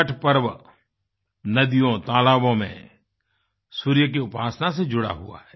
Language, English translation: Hindi, Chhath festival is associated with the worship of the sun, rivers and ponds